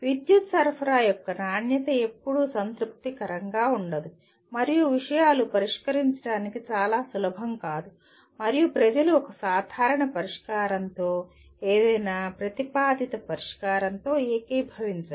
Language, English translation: Telugu, The quality of the power supply is never satisfactory and to solve that things are not very easy and people do not agree with a common solution/with any proposed solution